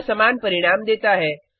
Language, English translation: Hindi, It gives the same result